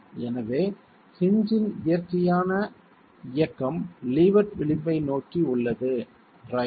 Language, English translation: Tamil, So the natural movement of the hinge is towards the leeward edge